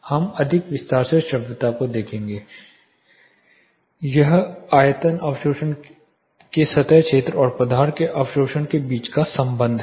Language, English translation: Hindi, We will look at audibility more in detail, but simply speaking this is a relation between the volume surface area of absorption and the absorption of the material